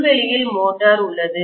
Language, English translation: Tamil, Lawnmower, it has motor